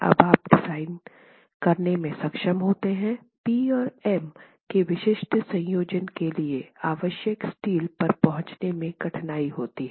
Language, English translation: Hindi, The difficulty is when you deal with design to be able to arrive at the steel required for a specific combination of P and M